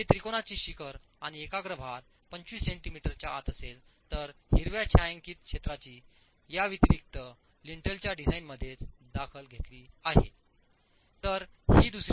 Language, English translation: Marathi, If the apex of the triangle and the concentrated load are within 25 centimeters then the shaded region, the green shaded region additionally is considered within the design of the lintel itself